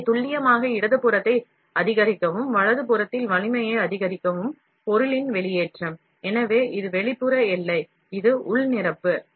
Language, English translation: Tamil, So, the extrusion of material to maximize precision left, and maximize strength in the right, so, this is the outer boundary, this is the inner fill